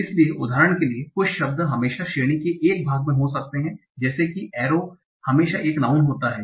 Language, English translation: Hindi, So for example, some words might always be in one part of the specific category, like arrow is always a noun